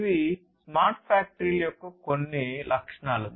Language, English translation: Telugu, These are some of the characteristics of smart factories connection